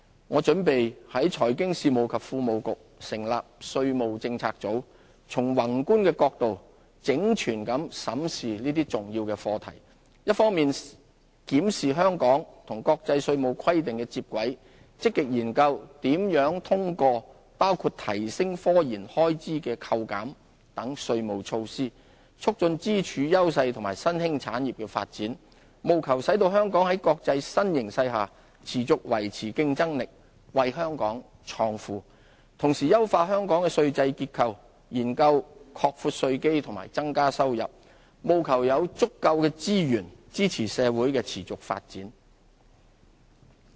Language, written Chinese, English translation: Cantonese, 我準備在財經事務及庫務局成立稅務政策組，從宏觀的角度整全地審視這些重要的課題，一方面檢視香港與國際稅務規定的接軌，積極研究如何通過包括提升科研開支的扣減等稅務措施，促進支柱、優勢和新興產業的發展，務求使香港在國際新形勢下持續維持競爭力，為香港創富；同時優化香港的稅制結構，研究擴闊稅基和增加收入，務求有足夠資源支持社會的持續發展。, I plan to set up a tax policy unit in the Financial Services and the Treasury Bureau to comprehensively examine these tax issues from a macro perspective . On the one hand we will seek to align our tax practices with international standards and actively study ways to foster the development of pillar industries industries over which we have advantages and emerging industries through tax measures including enhanced deductions for IT expenditure so as to ensure that Hong Kong remains competitive and can create wealth . On the other hand we will enhance our tax regime and explore broadening the tax base and increasing revenue so as to ensure that adequate resources are available to support the sustainable development of our society